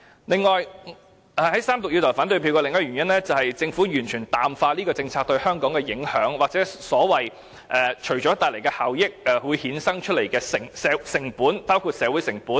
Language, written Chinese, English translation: Cantonese, 此外，我要在三讀投下反對票的另一個原因，是政府完全淡化了有關政策對香港的影響，即由其帶來的效益所衍生的成本，包括社會成本。, Furthermore another reason that leads me to cast an opposition vote in the Third Reading is that the Government has completely watered down the impact of the relevant policy on Hong Kong that is the costs that come along with the benefits including social costs